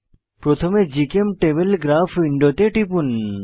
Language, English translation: Bengali, First click on GChemTable Graph window